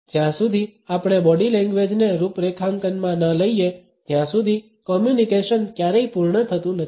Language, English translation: Gujarati, The communication never becomes complete unless and until we also take body language into configuration